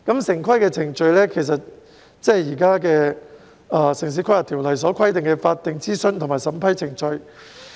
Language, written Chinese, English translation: Cantonese, 城市規劃程序就是現行的《城市規劃條例》所規定的法定諮詢和審批程序。, Town planning process is the statutory consultation and approval process as stipulated in the prevailing Town Planning Ordinance